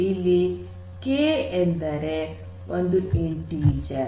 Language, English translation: Kannada, So, K refers to any integer